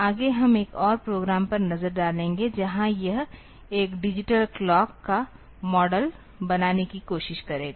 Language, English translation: Hindi, Next we will look into another program where it will try to model one digital clock